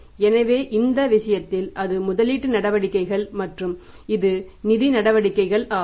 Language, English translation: Tamil, So in this case that is the investing activities and it is the financing activities